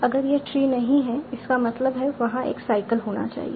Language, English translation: Hindi, If this is not a tree that means there has to be a cycle